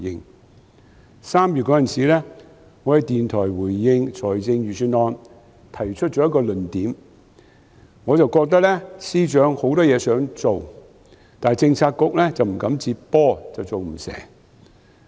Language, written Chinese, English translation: Cantonese, 在3月，我在電台回應財政預算案時提出了一個論點，我覺得司長有很多事情想做，但政策局不敢接手，所以不能成事。, In March I raised a point of argument in a radio programme in respect of the Budget . In my view the Financial Secretary wanted to do a lot of work but the Policy Bureaux dared not commit themselves and thus nothing had been done